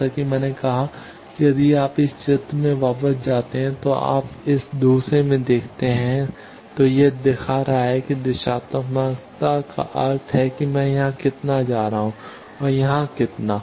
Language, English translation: Hindi, As I said that if you go back to this diagram that you see in this second one, it is showing that directivity means how much I am going here and how much here